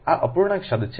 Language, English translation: Gujarati, this is the fractional term